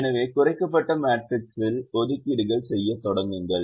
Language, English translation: Tamil, so start making assignments in the reduced matrix